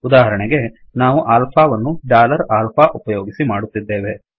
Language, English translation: Kannada, For example, we create alpha using dollar alpha